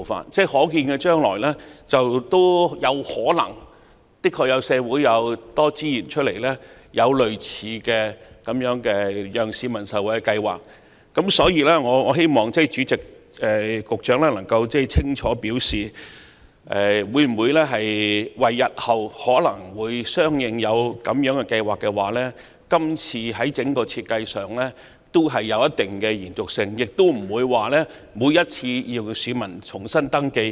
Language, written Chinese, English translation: Cantonese, 社會在可見的將來確有可能仍有剩餘的資源，讓政府推出類似的惠民計劃。因此，主席，我希望局長能夠清楚表示，可否因應日後仍可能推出類似的計劃，在今次的系統設計提供一定的延續性，讓市民不必每次也要重新登記？, Given that surplus resources may still be available in society in the near future and the Government may introduce similar schemes for the benefit of the people President I therefore hope that the Secretary can clearly indicate if a certain continuity can be provided in the present system in view that similar schemes may be introduced in the future so that members of the public need not register afresh each time?